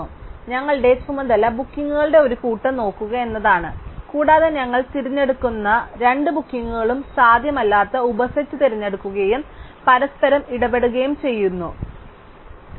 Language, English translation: Malayalam, So, our task is to look at the set of bookings and chooses subset which is feasible that is no two bookings that we choose interfere with each other